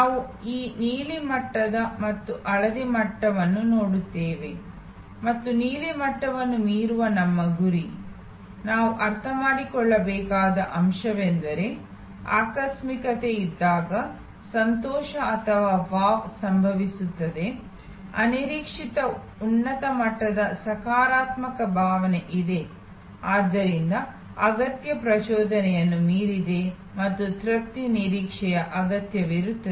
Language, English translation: Kannada, The objective which we will looked at that blue level and the yellow level and our target of exceeding the blue level, what we have to understand is that the delight or wow happens when there is an serendipity, there is unexpected high level of positive feeling which therefore, goes much beyond need arousal and need satisfaction expectation